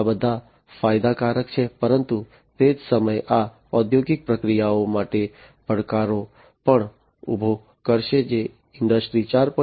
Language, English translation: Gujarati, So, these are all advantageous, but at the same time this will also pose challenges for the industrial processes that would be required for complying with Industry 4